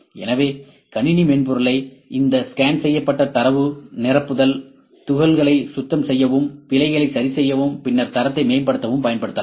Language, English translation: Tamil, So, the computer software can be used to clean up this scanned data filling holes, correcting errors, then data improving the quality